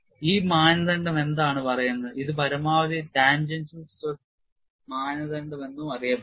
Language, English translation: Malayalam, And what this criterion says is, it is also famously known as maximum tangential stress direct criterion